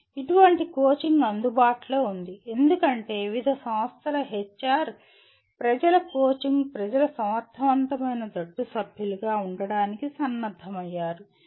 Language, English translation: Telugu, Such coaching is available because the HR people of various organizations are equipped for coaching people to be effective team members